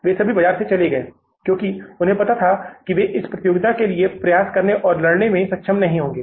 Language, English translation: Hindi, They all went out of the market because they knew it that we will not be able to strive for and to fight this competition